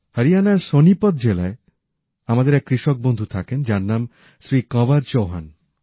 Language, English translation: Bengali, One such of our farmer brother lives in Sonipat district of Haryana, his name is Shri Kanwar Chauhan